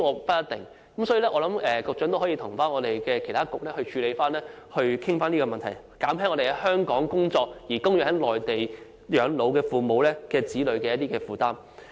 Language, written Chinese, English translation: Cantonese, 因此，我希望局長可以與其他政策局處理及討論這問題，減輕在香港工作的子女供養在內地養老的父母的負擔。, Therefore I hope the Secretary can handle and discuss this with other Policy Bureaux so as to alleviate the burden on children working in Hong Kong in supporting their parents who spend their twilight years on the Mainland